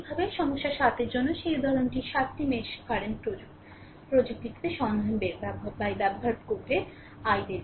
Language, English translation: Bengali, Similarly, for problem 7, the that example 7 find by using mesh current technique find i